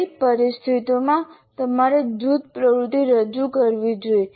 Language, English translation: Gujarati, Under what condition should you introduce group activity